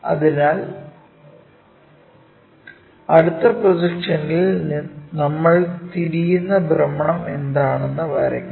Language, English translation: Malayalam, So, in the next projection we have to draw what is that rotation we are really looking for